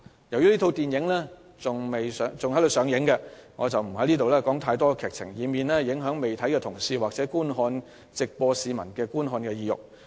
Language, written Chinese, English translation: Cantonese, 由於這齣電影仍在上映，我不便透露太多劇情，以免影響同事或市民的觀看意欲。, Since the film is still in theatres now I had better not say too much about its plot in order not to turn Members or citizens away from the film